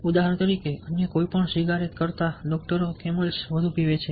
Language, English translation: Gujarati, for example, more doctors smoke camels than any other cigarette